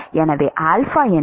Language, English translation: Tamil, What is the alpha